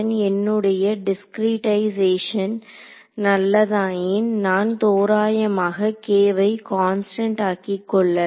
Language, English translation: Tamil, So, if my discretization is fine enough I can assume k to be approximately constant within that